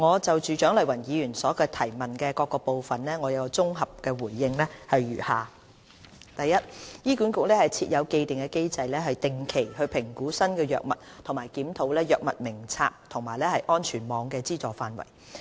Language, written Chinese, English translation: Cantonese, 就蔣麗芸議員質詢的各部分，我綜合回應如下：醫管局設有既定機制定期評估新藥物和檢討藥物名冊和安全網的資助範圍。, My consolidated reply to the various parts of the question raised by Dr CHIANG Lai - wan is as follows HA has an established mechanism for regular appraisal of new drugs and review of its Drug Formulary and the coverage of the safety net